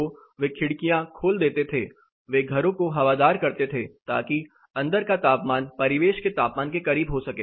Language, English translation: Hindi, So, they use to open the windows, they use to ventilate the houses so that the indoor temperature gets as close as possible to the ambient temperature